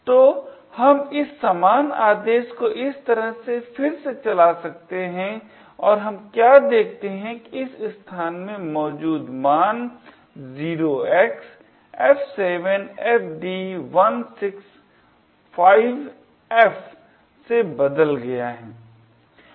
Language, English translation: Hindi, So, we can rerun this same command as follows and what we see is that this value present in this location has changed to F7FD165F